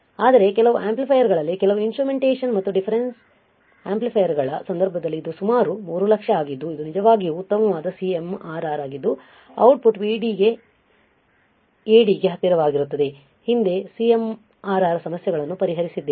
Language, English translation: Kannada, But in case of in case of some of the amplifiers, some of the instrumentation and difference amplifier this is about 300000 that is really great CMRR high our output will be close to AD in to VD we have seen the problems earlier, when we were looking at CMRR right we have solved the problems